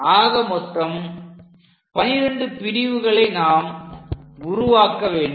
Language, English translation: Tamil, So, we make 12 parts